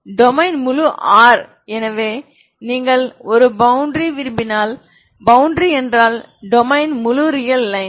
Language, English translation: Tamil, Domain is full r so you want if you want a boundary, boundary means the domain is full real line